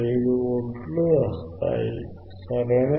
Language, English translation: Telugu, 5 volts correct